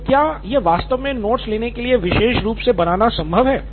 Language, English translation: Hindi, So is it possible to actually make this specifically for note taking